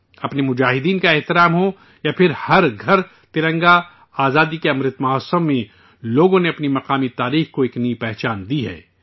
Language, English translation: Urdu, Be it honouring our freedom fighters or Har Ghar Tiranga, in the Azadi Ka Amrit Mahotsav, people have lent a new identity to their local history